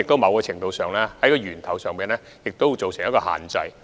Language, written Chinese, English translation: Cantonese, 某程度上，這亦可算是從源頭作出限制。, To some extent it can be regarded as an attempt to restrict the number at source